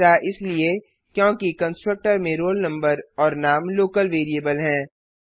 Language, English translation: Hindi, This is because in the constructor roll number and name are local variables